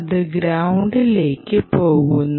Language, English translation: Malayalam, l and goes to ground